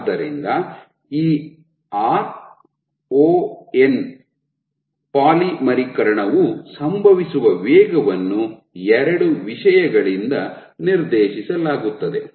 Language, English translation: Kannada, So, this ron, this ron the rate at which polymerization happens is dictated by two things